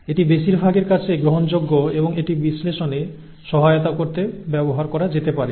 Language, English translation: Bengali, That is that is acceptable to most and that can be used to help in the analysis